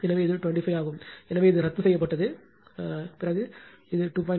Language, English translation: Tamil, So, it is 25, so, this is cancelled right, and this is 2